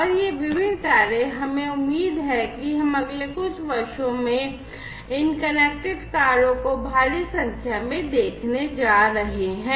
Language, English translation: Hindi, And these different cars it is expected that we are going to have these connected cars in huge numbers in the next few years